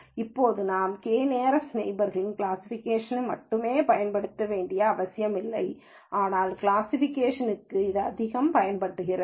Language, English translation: Tamil, Now it is not necessary that we use k nearest neighbor only for classification though that is where its used the most